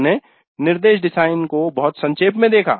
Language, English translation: Hindi, So we looked at the instruction design very briefly